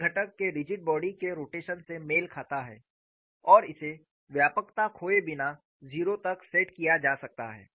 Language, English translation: Hindi, A corresponds to rigid body rotation of the component and may be set equal to zero without losing generality